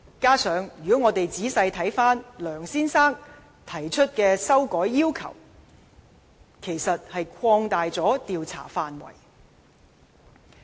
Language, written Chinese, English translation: Cantonese, 再者，如果我們仔細審視梁先生提出的修改要求，他其實是把調查範圍擴大了。, Besides if we carefully examine the amendments suggested by Mr LEUNG he has actually expanded the scope of inquiry